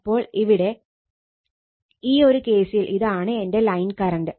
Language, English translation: Malayalam, So, this is my your so line current